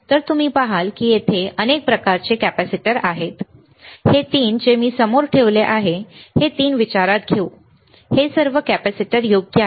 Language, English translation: Marathi, So, you see there are several kind of capacitors here, this three that I am keeping in front not consider this three all these are capacitors right